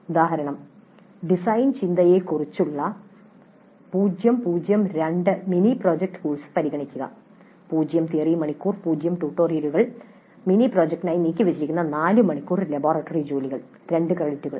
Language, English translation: Malayalam, Example, consider a zero zero two mini project course on design thinking, zero theory hours, zero tutorials and four hours of laboratory work devoted to the mini project, two credits